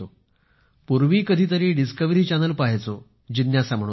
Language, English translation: Marathi, Earlier I used to watch Discovery channel for the sake of curiosity